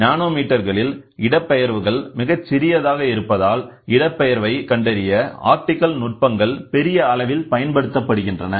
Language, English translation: Tamil, Optical sensing is the other way doing, today, if the displacements are very small in nanometres optical techniques are used in a big way to find out this displacement